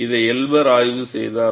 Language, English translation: Tamil, This was done by Elber